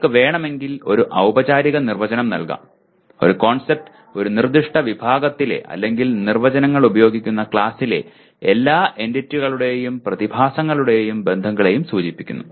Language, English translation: Malayalam, But a formal definition if you want, a concept denotes all the entities, phenomena and or relations in a given category or class of using definitions